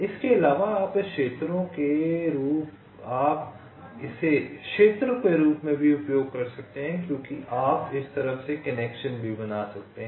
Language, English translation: Hindi, when addition, you can use this as regions also because you can also make connections through this side